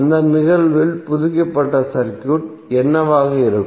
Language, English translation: Tamil, So what will be the updated circuit in that case